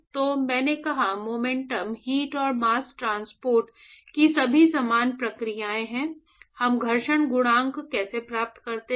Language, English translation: Hindi, So, I said momentum heat and mass transport they are all similar processes, how do we get the friction coefficient